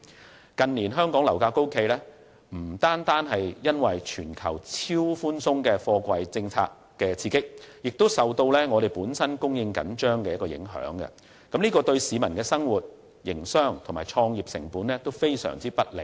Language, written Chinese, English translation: Cantonese, 香港近年樓價高企，不單是受全球超寬鬆的貨幣政策刺激，亦受本地供應緊張影響，對市民的生活、營商及創業成本均非常不利。, Exorbitant property prices in Hong Kong in recent years is not only attributable to an exceptionally easing global monetary policy but also the tight supply situation which has adversely affected peoples livelihood as well as the costs of doing business and entrepreneurship